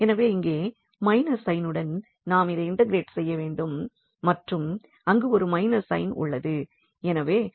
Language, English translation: Tamil, So, here with the minus sign because we need to integrate this and there is a minus sign there